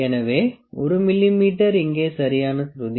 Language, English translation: Tamil, So, 1 mm is the proper pitch here